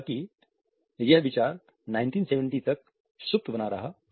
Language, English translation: Hindi, However, this idea had remained dormant till 1970s